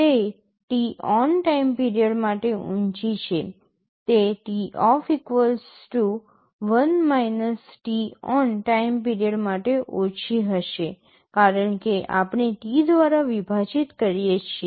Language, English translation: Gujarati, It is high for t on period of time, it will be low for t off = 1 – t on period of time, because we are dividing by T